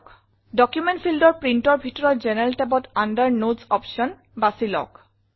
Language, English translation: Assamese, In the General tab, under Print, in the Document field, choose the Notes option